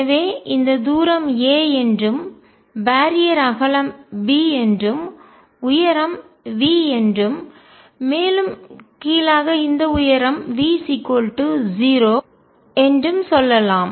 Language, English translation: Tamil, So, let us say this distance is a and the barrier is of width b, the height is V and here V equals 0 at the bottom